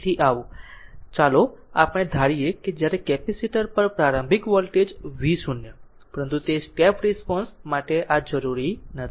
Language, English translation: Gujarati, So, let us assume when initial voltage V 0 on the capacitor, but this is not necessary for the step response right